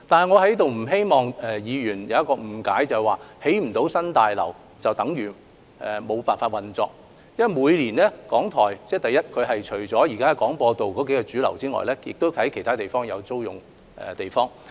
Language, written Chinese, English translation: Cantonese, 我不希望議員誤認為不能興建新大樓，便等於港台無法運作，因為港台每年除了使用位於廣播道的數座大廈外，亦在其他地點租用地方。, I do not hope that Members will mistakenly believe that if the New BH is not constructed RTHK will be unable to operate . The reason is that apart from using the buildings at Broadcast Drive RTHK also rents premises at other places each year